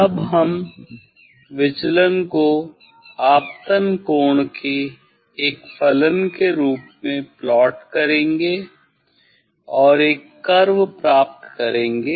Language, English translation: Hindi, Then we will plot deviation as a function of incident angle and get a curve